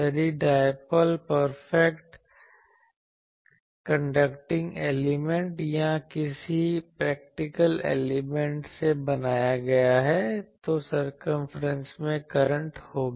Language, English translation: Hindi, If the dipole is made from a perfect conducting elements or any practical elements, then there will be currents in the circumference